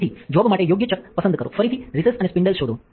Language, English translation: Gujarati, So, select the right chuck for the job, again find recess and the spindle